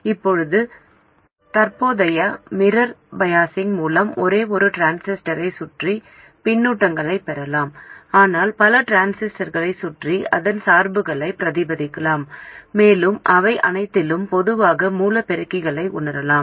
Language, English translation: Tamil, Now with a current mirror biasing we can have feedback around just one transistor but replicate its bias around many other transistors and realize common source amplifiers with all of them